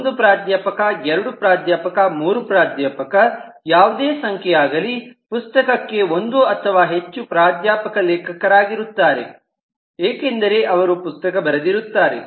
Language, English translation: Kannada, one professor, two professors, three professors, any number of them, which means that a book can have one or more professors as authors because they wrote the book